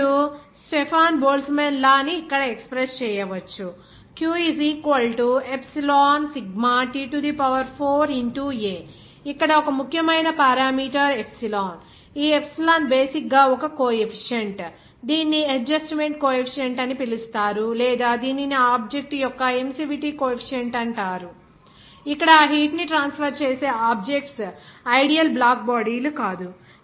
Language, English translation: Telugu, Now, the Stefan Boltzmann law can be expressed here as per that, that q = Epsilon Sigma T4 A Here, one important parameter is coming as epsilon, this epsilon is basically one coefficient, it is called as adjustment coefficient or it is called emissivity coefficient of the object where the object from which that heat is transferred is not the ideal black bodies